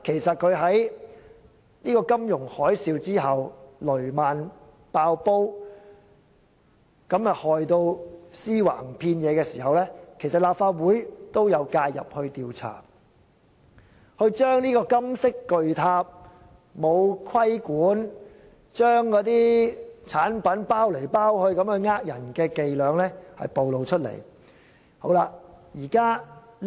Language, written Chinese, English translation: Cantonese, 在金融海嘯期間，雷曼"爆煲"導致屍橫遍野，立法會當時也有介入調查，揭發這個金色巨塔欠缺規管，只懂包裝產品欺騙投資者。, During the financial tsunami the fall of Lehman Brothers caused great losses for many investors . At that time the Legislative Council also stepped in and its subsequent inquiry revealed the lack of regulation in this great golden tower where plenty of financial products were packaged in a way to cheat investors